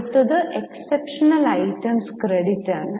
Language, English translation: Malayalam, Next is exceptional items credit